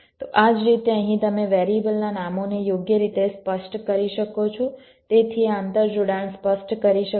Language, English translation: Gujarati, so in this same way, here you can specify the variable names appropriately so that this interconnection can be specified